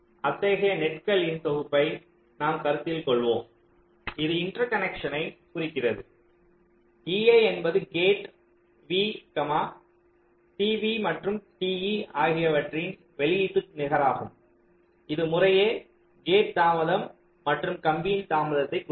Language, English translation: Tamil, so we consider a set of such nets which indicate interconnections where e i is the output net of gate v, and t v and t e will denote the gate delay and wire delay respectively